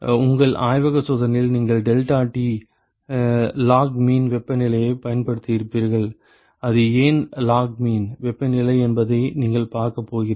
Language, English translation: Tamil, In your lab experiments you would have used deltaT logmean temperature you are going to see why it is logmean temperature